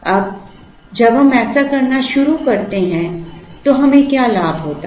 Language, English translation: Hindi, Now, when we start doing this what is the gain that we have